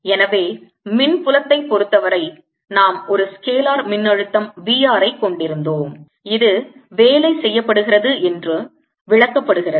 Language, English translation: Tamil, so in the case of electric field we had a scalar potential, v r, which is also interpreter as the work done in the case of magnetic field